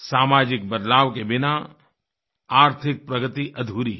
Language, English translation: Hindi, Economic growth will be incomplete without a social transformation